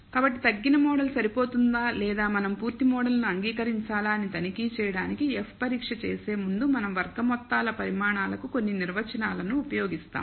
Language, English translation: Telugu, So, before performing the F test to check whether a reduced model is adequate or we should accept the full model we will use some definitions for sum squared quantities